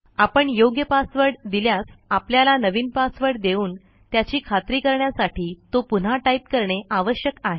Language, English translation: Marathi, When that is correctly entered ,you will have to enter your new password and then retype it to confirm